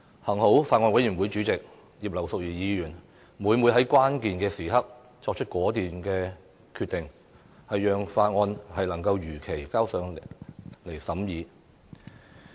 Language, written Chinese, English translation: Cantonese, 幸好，法案委員會主席葉劉淑儀議員每每在關鍵時刻作出果斷決定，讓《條例草案》能如期提交立法會進行二讀。, Luckily Mrs Regina IP Chairman of the Bills Committee had time and again made a resolute decision at critical moments thus enabling the Bill to be submitted to the Legislative Council as scheduled to be read the second time